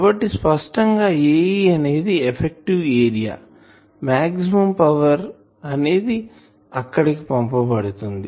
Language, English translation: Telugu, So, this A e effective area obviously, maximum power will be delivered there